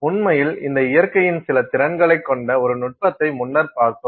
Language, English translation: Tamil, So, actually, in fact, we did look at one technique earlier which had some capability of this nature